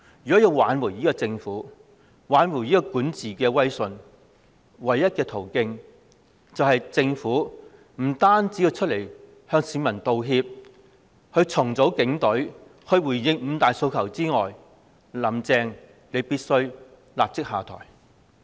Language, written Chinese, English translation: Cantonese, 如要挽回政府的管治威信，唯一途徑是除了向市民道歉、重組警隊及回應"五大訴求"外，"林鄭"必須立即下台。, If the Government wants to retrieve its prestige in governance the only way out is to apologize to the public reorganize the Police Force and accede to the five demands . And on top of all this Carrie LAM must step down immediately